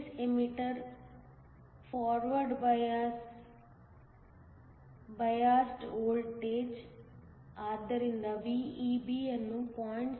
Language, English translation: Kannada, The base emitter forward biased voltage, so VEB is given to be 0